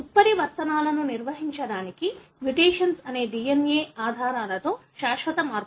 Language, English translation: Telugu, So to define mutations, mutation is a permanent alteration in bases of the DNA